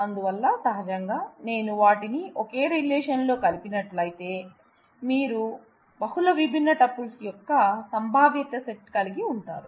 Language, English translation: Telugu, So, naturally if I combine them into a single relation, you have a set of possibilities of multiple different tuples